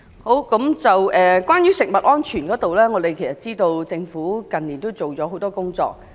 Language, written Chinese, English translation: Cantonese, 關於食物安全方面，我們知道政府近年做了很多工作。, Regarding food safety we know that the Government has done a lot in recent years